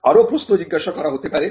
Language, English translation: Bengali, The further questions are asked